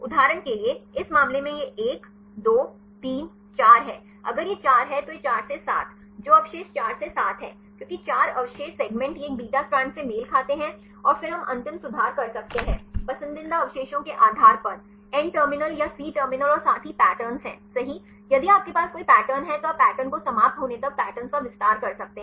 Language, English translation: Hindi, For example, in this case it is 1 2 3 4, if it is 4 then 4 to 7 that residues 4 to 7 because 4 residues segment these corresponds to a beta strand and then we can make the end correction based on the preferred residues in the N terminal or the C terminal as well as the patterns right if you have any patterns then you can extend the pattern till the pattern ends